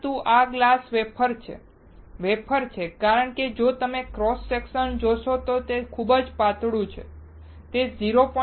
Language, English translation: Gujarati, But this is glass wafer, wafer because if you see cross section it is extremely thin, it is 0